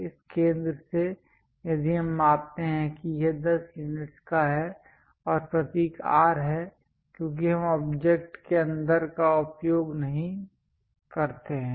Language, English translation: Hindi, From this center if I am measuring that it is of 10 units and symbol is R because we do not use inside of the object